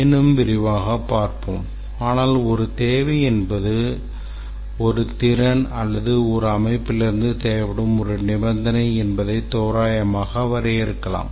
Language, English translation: Tamil, But then we can define roughly that a requirement is a capability or a condition that is required of the system